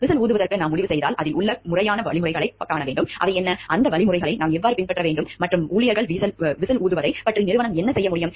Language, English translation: Tamil, If we are deciding for going for whistle blowing then what are the proper steps involved in it, how we should follow those steps, and what the organization can do about the employees whistle blowing